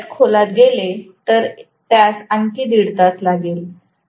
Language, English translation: Marathi, If I get into that, that will take up another one and a half hours